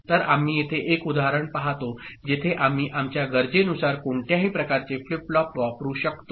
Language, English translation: Marathi, So, here we look at an example where I mean, we can use any type of flip flop depending on our requirement